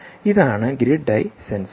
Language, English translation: Malayalam, this is the grid eye sensor